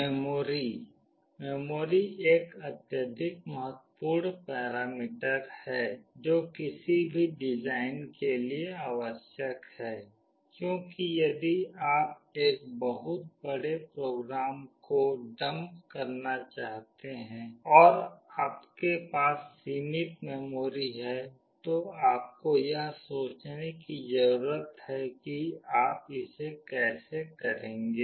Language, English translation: Hindi, The memory; memory is one of the vital important parameter that is required for any design, because if you want to dump a very large program and you have limited memory you need to think how will you do it